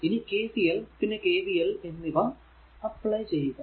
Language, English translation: Malayalam, Now, what you do you have to apply KCL and KVL, right